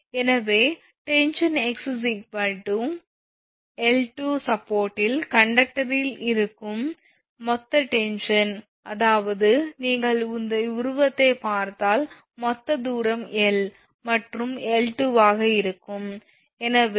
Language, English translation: Tamil, So, where the total tension your in the conductor at the support x is equal to L by 2, that is if you look at the figure that is this is total distance is L and this will be L by 2